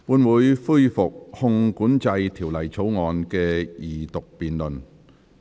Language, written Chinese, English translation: Cantonese, 本會恢復《汞管制條例草案》的二讀辯論。, This Council resumes the Second Reading debate on the Mercury Control Bill